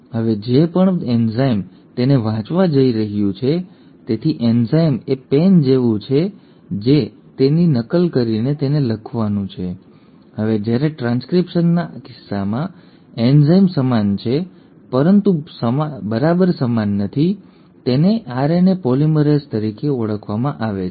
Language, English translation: Gujarati, Now whatever is the enzyme which is going to read it; so enzyme is like the pen which is going to copy it and write it down, now that enzyme in case of transcription is similar but not exactly same, similar, it is called as RNA polymerase